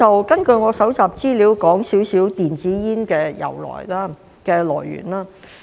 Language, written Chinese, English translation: Cantonese, 根據我搜集的資料，我說些少電子煙的來源。, Based on the information I have collected I will talk about the origin of e - cigarettes